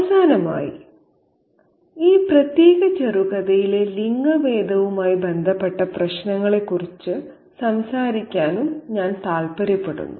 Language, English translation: Malayalam, And finally, I would also like to talk about the issues related to gender in this particular short story